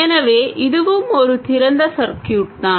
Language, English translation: Tamil, So this is also an open circuit